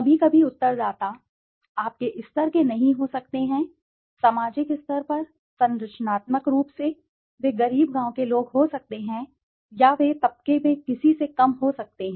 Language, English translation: Hindi, Sometimes the respondents might not be of your level, in the sense in the societal level, structurally, they might be poor village folks or they might be somebody from lower in the strata